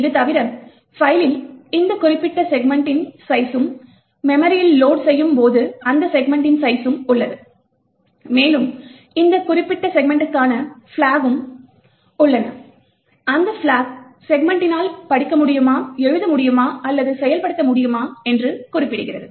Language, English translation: Tamil, Beside this, you have the size of this particular segment in the file and also the size of the segment when it is loaded into memory and additionally you have flags for this particular segment, which specifies whether that segment can be read, written to or can be executed